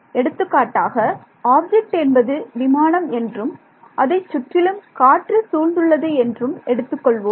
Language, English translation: Tamil, So, for example, this object could be a aircraft and it is surrounded by air